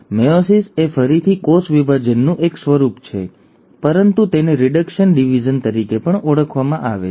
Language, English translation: Gujarati, Meiosis is again a form of cell division, but it is also called as a reduction division